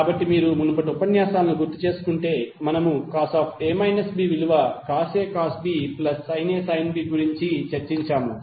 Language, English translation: Telugu, So if you recollect the previous lectures we discuss cos A minus B is nothing but cos A cos B plus sin A sin B